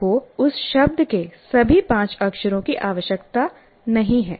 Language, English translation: Hindi, You don't require all the five letters of that word